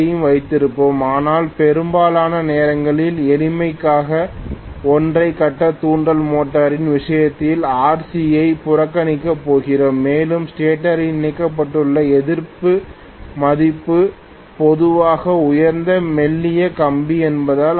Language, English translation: Tamil, We will have normally RC also but most of the times we are going to neglect RC in the case of single phase induction motor for the sake of simplicity and also because the resistance value that is connected in the stator is generally high, thin wires